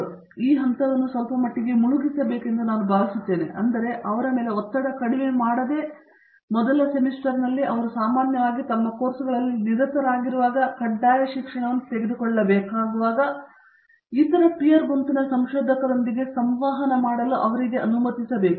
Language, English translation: Kannada, So, I think we should be delink this to some extent, without reducing the pressure on them, which means that in first semester when they typically are busy with their courses, the mandatory courses to be taken, we should allow them to interact with other peer group meaning other researchers